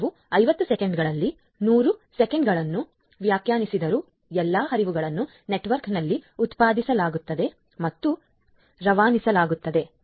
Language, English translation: Kannada, So, although we have defined 100 seconds within 50 seconds all flows are generated and routed in the network